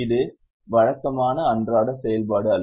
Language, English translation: Tamil, It is not a regular day to day activity